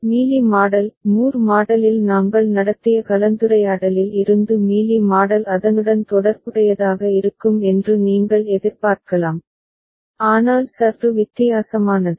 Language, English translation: Tamil, Mealy model from the discussion we had on Moore model you can expect that Mealy model will be related to it, but somewhat different